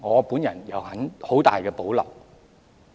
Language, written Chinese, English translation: Cantonese, 對此，我有很大保留。, I have great reservations about this